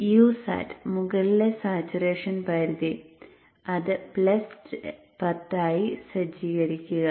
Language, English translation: Malayalam, U sat, the upper saturation limit setting it to plus 10